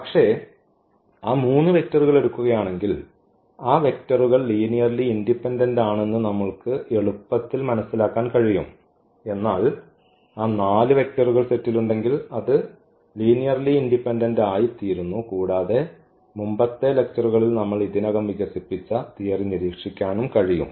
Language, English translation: Malayalam, And but if we take those 3 vectors we can easily figure out their those vectors are linearly independent, but having those 4 vectors in the set the set becomes linearly dependent, that also we can observe with the theory we have already developed in previous lectures